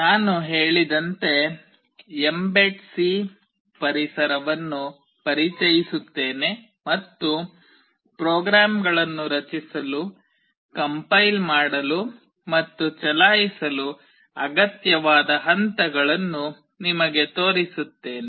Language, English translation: Kannada, As I said I will introduce the mbed C environment and I will show you the steps that are required to create, compile and run the programs